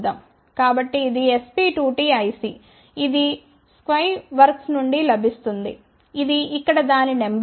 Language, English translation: Telugu, So, this is SP2T IC which is available from sky works that is the number here